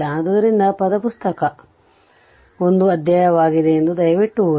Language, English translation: Kannada, So, please read that word book is a chapter